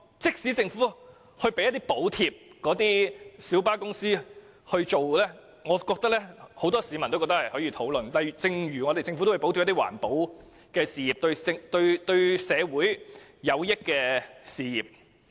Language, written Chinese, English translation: Cantonese, 即使政府要向小巴公司提供補貼，但我相信很多市民也認為是值得討論的，就像政府補貼環保等對社會有益的事業一樣。, Even if the Government has to provide subsidies to light bus companies I believe many members of the public will consider the proposal worth discussing as in the case of providing government subsidies to environmental industries which will bring benefits to society